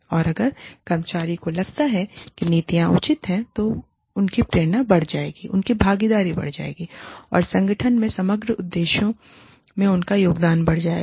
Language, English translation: Hindi, And, if the employees feel, that the policies are fair, their motivation will go up, their involvement will go up, their contribution to the overall objectives of the organization will go up